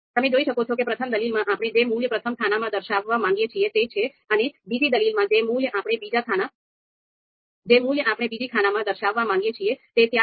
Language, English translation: Gujarati, You can see here that you know first argument is the values which we would like to display in the first column and the second argument is consisting of you know the values which we would like to display in the second column